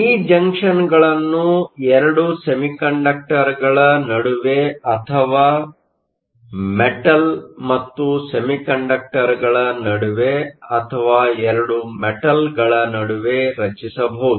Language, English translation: Kannada, These junctions can be formed between 2 semiconductors or between a metal and a semiconductor or between 2 metals